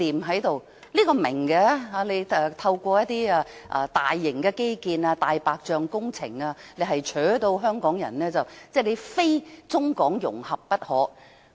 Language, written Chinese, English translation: Cantonese, 這一點我明白，政府是要透過大型基建及"大白象"工程迫使香港人非中港融合不可。, I get this . The Government wants to force Hong Kong people to embrace the idea of Hong Kong - Mainland integration through all those large - scale infrastructures and white elephant works projects